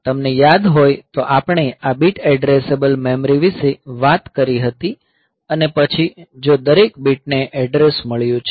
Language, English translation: Gujarati, So, you remember that we talked about this bit addressable memory and then if every bit has got an address